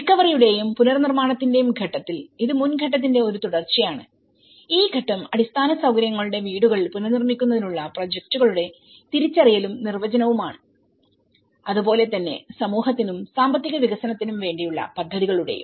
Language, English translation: Malayalam, And in recovery and the reconstruction phase so, it is a follow up on to the previous phase and this phase is the identification and definition of projects to rebuild the houses of infrastructure and as well as, the projects for community and the economic development